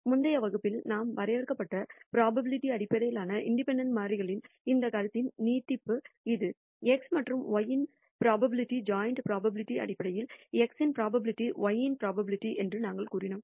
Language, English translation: Tamil, This is the extension of this notion of independent variables in terms of probability we defined in the previous lecture where we said the probability joint probability of x and y is basically probability of x into probability of y